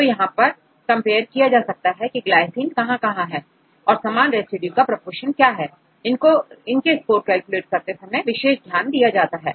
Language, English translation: Hindi, So, they compare how many positions the glycine occurs how many positions they have similar residues and what is the proportion of these residues they take into consideration when you calculate a score right